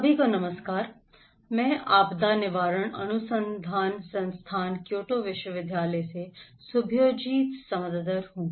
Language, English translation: Hindi, Hello, everyone, I am Subhajyoti Samaddar from the Disaster Prevention Research Institute, Kyoto University